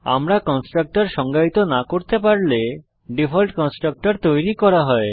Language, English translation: Bengali, If we do not define a constructor then a default constructor is created